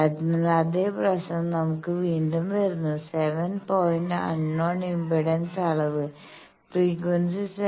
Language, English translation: Malayalam, So, again the same problem that we have that 7 point unknown impedance measurement, frequency is 7